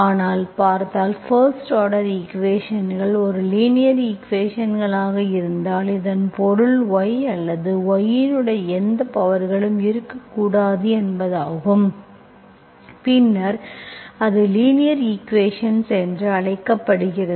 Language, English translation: Tamil, But if you see, if you have first order equations as a linear equation, okay, that means you should not have any powers of y or y dash, then it is called linear equation